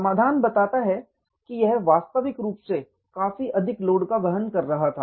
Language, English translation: Hindi, The solution says it was original supporting so much load